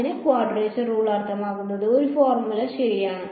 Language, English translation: Malayalam, So, quadrature rule means a formula ok